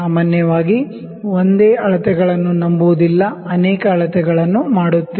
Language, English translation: Kannada, Generally, we do not trust the single measurements we do multiple measurements